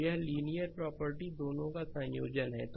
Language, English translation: Hindi, So, this linearity property is a combination of both